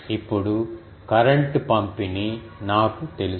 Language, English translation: Telugu, Now, I know the current distribution